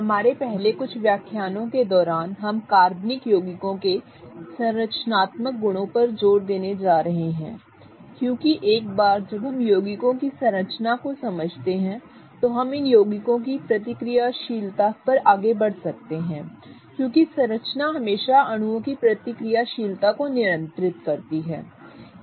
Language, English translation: Hindi, Hi, throughout our first few lectures we are going to stress upon the structural properties of organic compounds because once we understand the structure of compounds we can then proceed to the reactivity of these compounds because structure always governs the reactivity of molecules